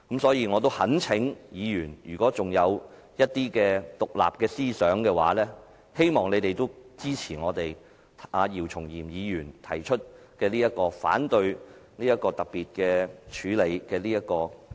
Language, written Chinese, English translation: Cantonese, 所以，我懇請議員——如果尚有獨立思考的話——希望你們也支持我們姚松炎議員提出反對這項議案的處理。, Therefore I earnestly urge fellow Members those who can still think independently to support the counter - motion proposed by Dr YIU Chung - yim